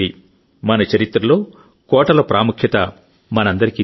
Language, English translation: Telugu, We all know the importance of forts in our history